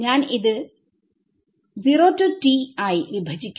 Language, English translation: Malayalam, So, I will split this 0 to t will become a